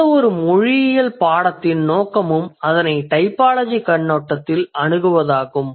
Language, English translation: Tamil, This is the intention or this is the aim of any linguistics course that approaches it from a typological perspective